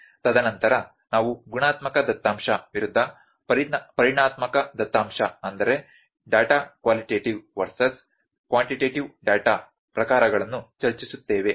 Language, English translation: Kannada, And then we will discuss about the types of data qualitative versus quantitative data